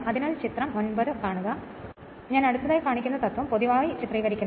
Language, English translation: Malayalam, So, figure I will come, so figure 9 in general illustrates the principle next I will show